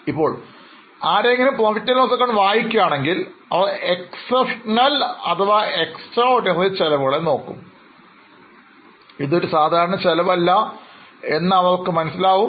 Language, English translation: Malayalam, Now, when somebody is reading P&L and they look at an exceptional or extraordinary expense, they would understand that this is not a normal expense